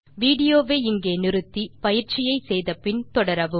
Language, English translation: Tamil, Please, pause the video here, do the exercise and then continue